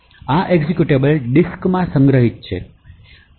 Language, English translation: Gujarati, So, this executable is stored in the disk